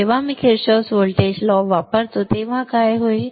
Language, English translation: Marathi, When I use Kirchhoffs voltage law what will happen